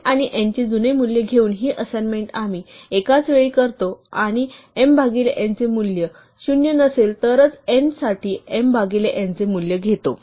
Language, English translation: Marathi, We make this simultaneous assignment of m taking the old value of n, and n taking the value of m divided by n, only if m divided by n currently is not 0